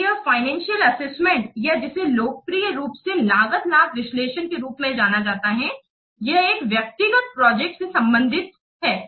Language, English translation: Hindi, So, this financial assessment or which is popularly known as cost benefit analysis, this relates to an individual project